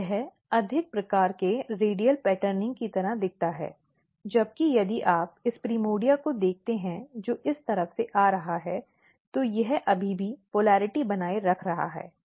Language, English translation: Hindi, So, it looks like a very different or more kind of radial patterning whereas, if you look this primordia which is coming from this side, it is still maintaining the polarity